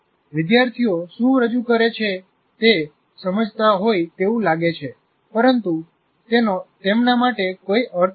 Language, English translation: Gujarati, Students seem to be understanding what is presented, but it doesn't make any meaning to them